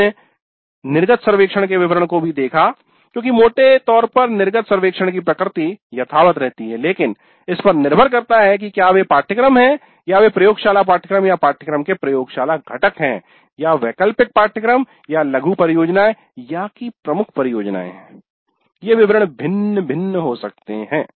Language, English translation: Hindi, Then we also looked at the details of the exit survey because broadly the exit survey nature remains same but depending upon whether they are core courses or whether the laboratory courses or laboratory components of a course or elective courses or mini projects or major projects, the details can vary